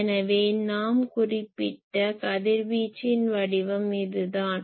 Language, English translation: Tamil, So, this is radiation pattern we have said